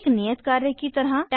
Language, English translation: Hindi, As an assignment 1